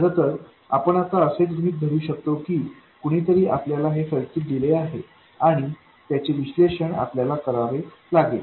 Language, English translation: Marathi, In fact, we can kind of now assume that somebody gave us this circuit and we have to analyze it